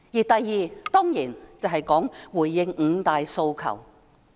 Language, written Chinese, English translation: Cantonese, 第二，當然是回應五大訴求。, Secondly of course she should respond to the five demands